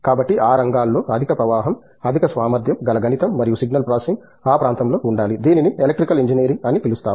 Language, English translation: Telugu, So, there is a large influx of you know highly efficient mathematics and signal processing going in that area, that is in the what we call as a Electrical Engineering